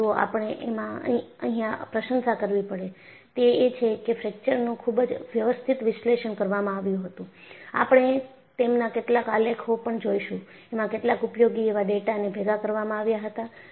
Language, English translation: Gujarati, But what you will have to appreciate is, the fractures were very systematically analyzed, you would also say some of that graphs, and useful data was collected